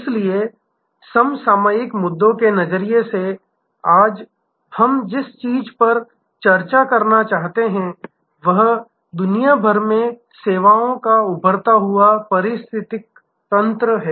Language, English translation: Hindi, So, from the contemporary issues perspective, what we want to discuss today is the emerging ecosystems of services around the world